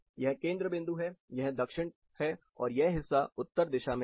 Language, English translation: Hindi, So, this is a center point, this is south, this part is north